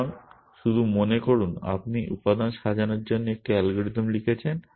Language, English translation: Bengali, So, just think of you have written a algorithm for sorting elements